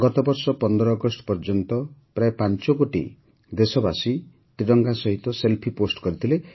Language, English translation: Odia, Last year till August 15, about 5 crore countrymen had posted Selfiewith the tricolor